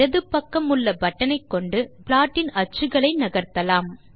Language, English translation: Tamil, The button to the left of it can be used to move the axes of the plot